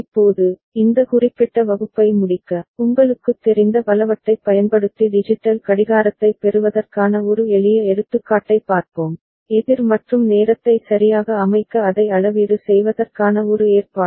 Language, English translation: Tamil, Now, to end this particular class, we shall have a look at one simple example of getting a digital clock using a multiple you know, counter and an arrangement to calibrate it to set the time right